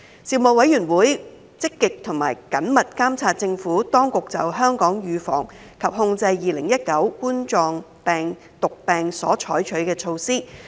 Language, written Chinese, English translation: Cantonese, 事務委員會積極及緊密監察政府當局就香港預防及控制2019冠狀病毒病所採取的措施。, The Panel actively and closely monitored the Administrations measures for the prevention and control of coronavirus disease 2019 in Hong Kong